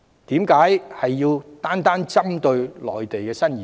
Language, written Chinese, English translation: Cantonese, 為何單單要針對內地新移民？, Why do people pick on new arrivals from Mainland alone?